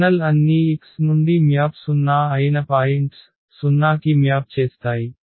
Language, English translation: Telugu, The kernel all are those points from X whose map is 0, they map to the 0